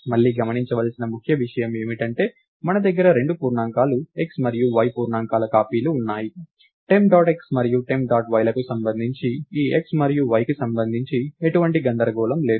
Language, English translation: Telugu, So, again the key thing to notice is that we had cop integer copies of integers x and y and these two integers x and y, there is no confusion of these x this x and y with respect to temp dot x and temp dot y